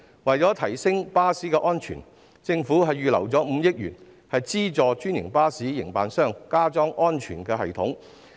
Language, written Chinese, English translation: Cantonese, 為了提升巴士的安全水平，政府預留了5億元資助專營巴士營辦商加裝安全系統。, To enhance the safety of buses the Government has earmarked 500 million to subsidize franchised bus operators to retrofit safety systems